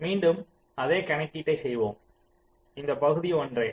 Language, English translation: Tamil, lets do the same calculation again